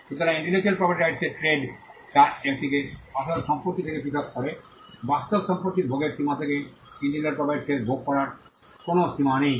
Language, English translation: Bengali, So, this is a trade of intellectual property which distinguishes it from real property, real property has limits in enjoyment there are no limits in enjoying an intellectual property right